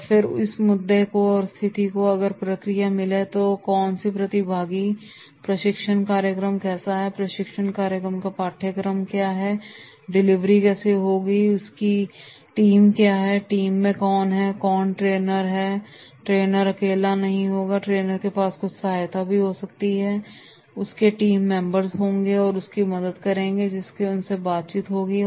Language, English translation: Hindi, And then in that case if these elements in the group process that is who are the participants, what type of the training program is there, what are the contents of the training program, how is the delivery of the training program, what is the training team, who are in the training team because the trainer will be not alone, trainer will have certain assistance, he will have certain team members, those will be helping, they will be having certain correspondence with the trainer